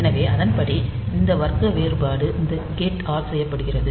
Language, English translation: Tamil, So, accordingly so, this class differentiation is made by these gate